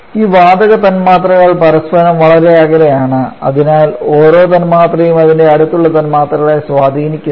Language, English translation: Malayalam, So, that gas molecules are far apart from each other and therefore each molecule is not at all influenced by its neighbouring molecules